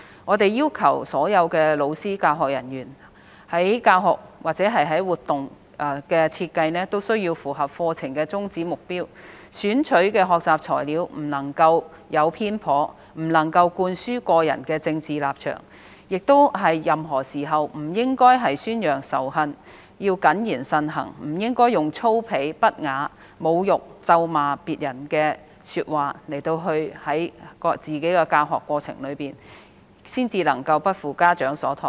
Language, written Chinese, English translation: Cantonese, 我們要求所有老師及教學人員在教學或活動設計方面符合課程的宗旨、目標，選取的學習材料不能偏頗，不能灌輸個人政治立場，亦不應在任何時候宣揚仇恨；要謹言慎行，不應該把粗鄙、不雅、侮辱、咒罵別人的說話加入自己的教學過程，這樣才能夠不負家長所託。, All teachers and teaching staff are required to design their lessons and activities to meet the curriculum goals or objectives; their teaching materials must not be biased or imbued with personal political affiliations . Furthermore they should never promote hatred and must behave themselves without using any vulgar indecent insulting or abusive language in their teaching in order to live up to parents expectations